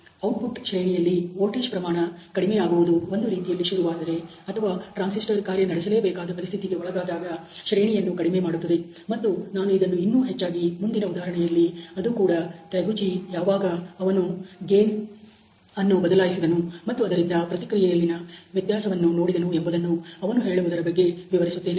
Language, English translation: Kannada, If voltages lower in the output range which you know gets sort of initiated or under which the transistor is bound to operate that that range reduces and I am going to illustrate this little more closely in one of the next examples that particularly Taguchi talks about when he changes the gain and sees what is the variability in the response